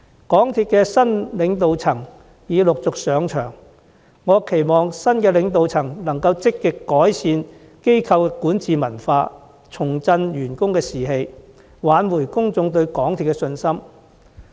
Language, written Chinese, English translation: Cantonese, 港鐵公司的新領導層已陸續上場，我期望新領導層能積極改善機構的管治文化，重振員工士氣，挽回公眾對港鐵公司的信心。, As the new leadership of MTRCL begins taking over the helm I hope they will proactively improve the governance culture of the corporation revive staff morale and restore public confidence in MTRCL